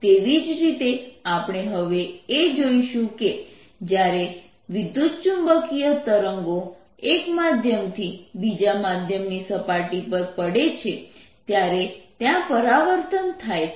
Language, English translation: Gujarati, in a similar manner we are now going to see that when electromagnetic waves fall from on a surface, from one medium to the other, there is going to be reflection